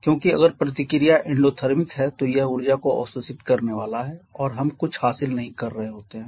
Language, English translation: Hindi, Because in the reaction is endothermic then it is going to absorb energy and we are not beginning anything